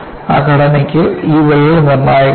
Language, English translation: Malayalam, For that structure, this crack is critical